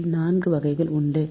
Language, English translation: Tamil, so four units are there